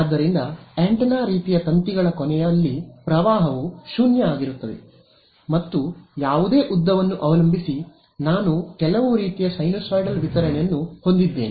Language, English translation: Kannada, So, at the end of the antenna sort of wires the field is going to the current is going to be 0 and depending on whatever length is I will have some kind of sinusoidal distribution over I mean that is